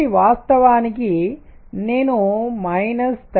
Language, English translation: Telugu, So minus 13